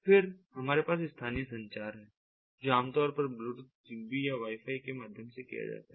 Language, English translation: Hindi, then we have the local communication, which is typically done via bluetooth, zigbee or wifi and ah